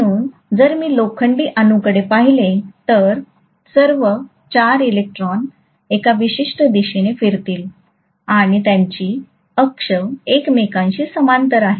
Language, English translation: Marathi, So if I look at the iron atom, all the 4 electrons will spin in a particular direction and their axis are being parallel to each other